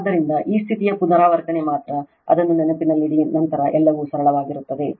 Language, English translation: Kannada, So, only these condition repeat just keep it in mind then everything will find simple right